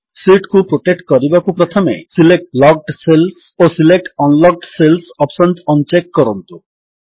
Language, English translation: Odia, To protect the sheet, first, un check the options Select Locked cells and Select Unlocked cells